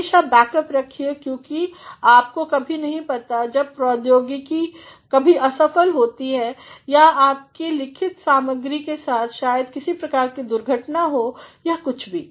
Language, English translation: Hindi, Always keep backups, because you never know when technology sometimes fails or your written material may have some sorts of misfortune or whatsoever